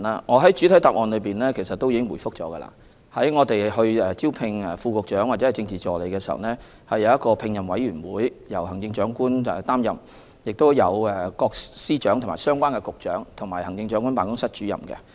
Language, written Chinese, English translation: Cantonese, 我在主體答覆中已表示，招聘副局長或政治助理的工作由聘任委員會負責，成員包括行政長官、司長、局長及行政長官辦公室主任。, I have said in the main reply that an appointment committee comprising the Chief Executive Secretaries of Department Directors of Bureau and the Director of the Chief Executives Office is responsible for the appointment of Deputy Directors of Bureau or Political Assistants